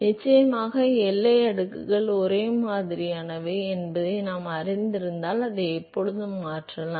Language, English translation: Tamil, Of course, from because we know that the boundary layers are similar one could always replace